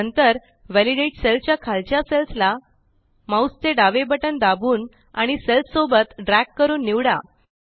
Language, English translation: Marathi, Then, select the cells below the validated cell by pressing the left mouse button, and then dragging along the cells